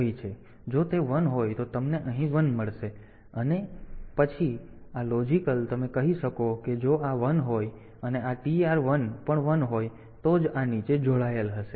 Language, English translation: Gujarati, So, if it is 1 then you will get a 1 here and then this logical, you can say that if this this is 1 and this TR 1 is also 1 then only